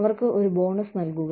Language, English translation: Malayalam, Give them a bonus